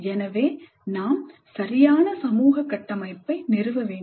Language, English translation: Tamil, So we must establish proper social structure